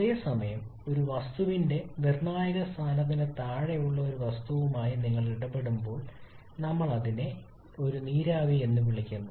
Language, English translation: Malayalam, Whereas when you are dealing with a substance which is below its critical point we call it a vapour